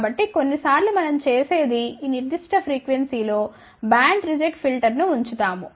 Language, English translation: Telugu, So, sometimes what we do we actually put a band reject filter at this particular frequency